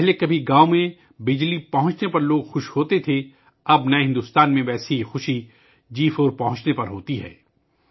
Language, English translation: Urdu, Like, earlier people used to be happy when electricity reached the village; now, in new India, the same happiness is felt when 4G reaches there